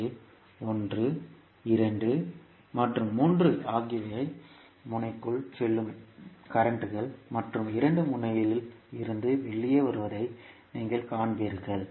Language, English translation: Tamil, So, you will see 1, 2 and 3 are the currents which are going inside the node and 2 are coming out of the node